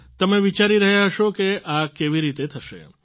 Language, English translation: Gujarati, You must be thinking how all this will be possible